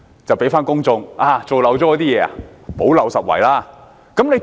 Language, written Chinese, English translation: Cantonese, 有甚麼事情漏了做，便向公眾補漏拾遺。, If anything has been omitted it will plug the gaps for the public